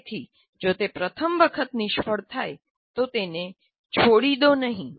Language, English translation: Gujarati, So do not abandon if it fails the first time